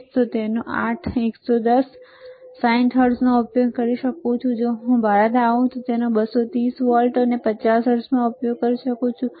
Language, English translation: Gujarati, If I go to US, I can use it 8, 110 volt 60 hertz if I come to India, I can use it at 230 volts 50 hertz